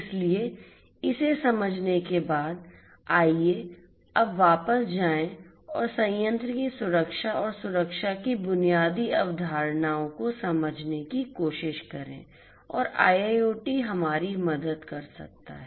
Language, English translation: Hindi, So, having understood this let us now go back and try to understand the basic concepts of plant security and safety and how IIoT can help us